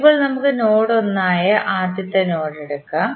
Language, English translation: Malayalam, Now, let us take the first node that is node 1